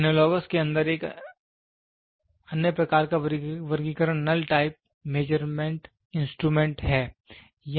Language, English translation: Hindi, The other type of classification in analogous is null type measurement instrument